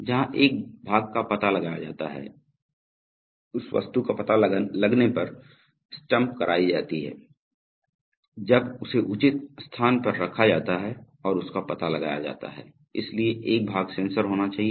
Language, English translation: Hindi, Where a part is detected, the thing to be stamped when it is detected, when it is placed at the proper place and detected, so there has to be a part sensor